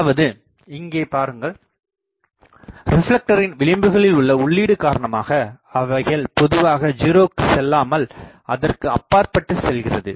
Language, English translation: Tamil, That means, look at here that, the feed at the edges of the reflector they generally do not go to 0 they goes beyond that